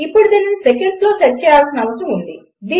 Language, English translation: Telugu, Now this needs to be set in seconds